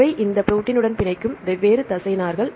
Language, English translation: Tamil, So, what are the different small molecules binds to this protein